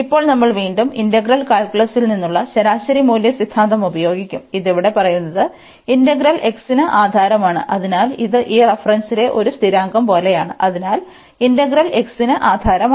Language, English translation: Malayalam, And now we will use the again the mean value theorem from integral calculus, which says that this here because the integral is over x, so this like a constant in this reference, so integral is over x